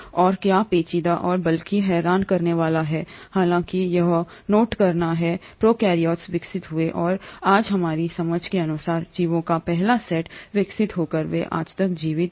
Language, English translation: Hindi, And what is intriguing and rather perplexing is to note that though prokaryotes evolved and were the first set of organisms as of our understanding today to evolve, they have continued to survive till the present day today